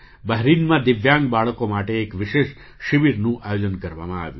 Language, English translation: Gujarati, A special camp was organized for Divyang children in Bahrain